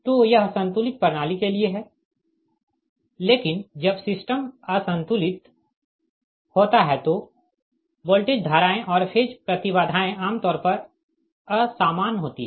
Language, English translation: Hindi, but when the system is unbalanced, the voltages, currents and the phase impedances are in general unequal